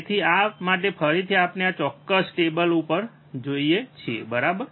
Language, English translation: Gujarati, So, for this again we go back to we go to the the this particular table, right